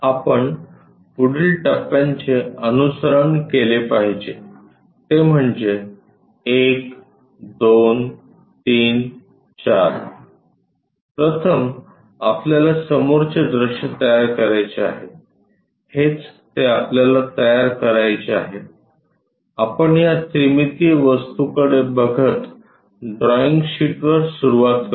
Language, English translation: Marathi, The steps what we have to follow are 1 2 3 4, first we have to construct a front view this is the one what we have to construct, let us begin on our drawing sheet parallelly looking at this 3 dimensional object